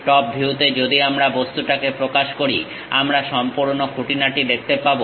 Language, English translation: Bengali, In top view if we are representing the object, the complete details we can see